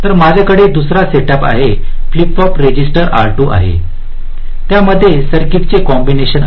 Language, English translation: Marathi, so i have another setup, flip flop, register r two, and there is a combination of circuit in between